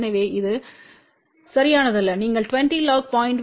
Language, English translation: Tamil, So, which is not correct you have to use 20 log 0